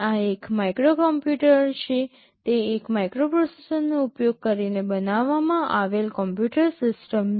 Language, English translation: Gujarati, This is a microcomputer, it is a computer system built using a microprocessor